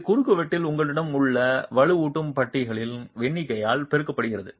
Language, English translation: Tamil, And this is multiplied by the number of reinforcing bars that you have in the cross section